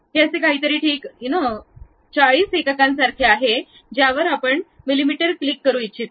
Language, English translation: Marathi, This one supposed to be something like 40 units you would like to have mm click ok